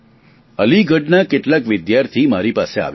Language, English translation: Gujarati, Student from Aligarh had come to meet me